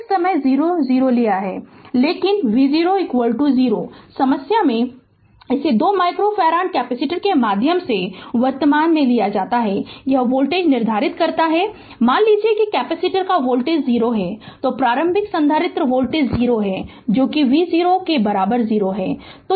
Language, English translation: Hindi, But v 0 is equal to 0 in the problem it is given current through a 2 micro farad capacitor is the determine the voltage across it assume that capacitor voltage is 0 that is initial capacitor voltage is 0 that is v 0 equal to 0